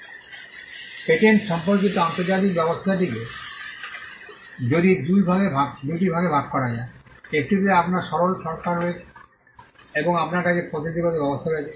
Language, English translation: Bengali, The international system on patents can be divided into two; one you have the substantive regime and you have the procedural regime